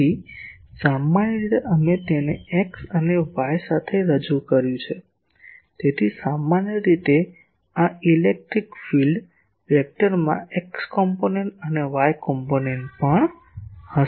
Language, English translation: Gujarati, So, usually we represented it with X and Y; so, in general this electric field vector will be having an X component and also a Y component